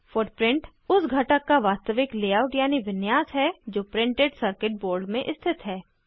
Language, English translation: Hindi, Footprint is the actual layout of the component which is placed in the Printed Circuit Board